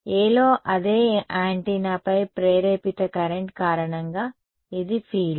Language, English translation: Telugu, This is the field due to the induced current on the same antenna on A